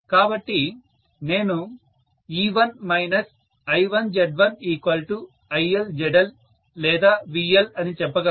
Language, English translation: Telugu, So I can say E1 minus I1 Z1 equal to IL ZL or VL I can say either way